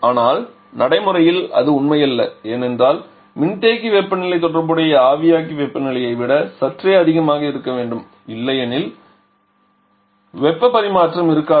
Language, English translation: Tamil, But that is not true in practice because the condenser temperature has to be slightly higher than the corresponding evaporator temperature otherwise there will be no heat transfer